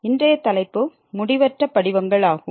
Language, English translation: Tamil, and today’s topic is Indeterminate Forms